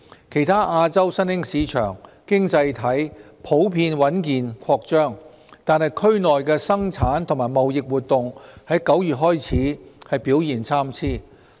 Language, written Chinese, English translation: Cantonese, 其他亞洲新興市場經濟體普遍穩健擴張，但區內的生產及貿易活動在9月開始表現參差。, The economies of other emerging markets in Asia have in general expanded solidly but manufacturing and trading activities in the region began to show mixed performance in September